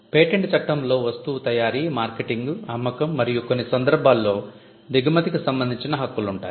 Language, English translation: Telugu, In patent law we are talking about rights relating to manufacture marketing sale and in some cases importation